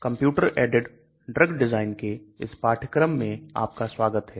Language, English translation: Hindi, Welcome to the course on computer aided drug design